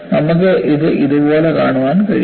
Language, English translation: Malayalam, You can also look at it like this